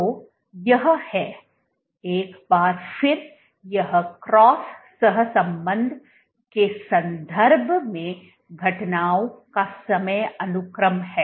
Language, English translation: Hindi, So, this is, once again this is the time sequence of events in terms of cross correlation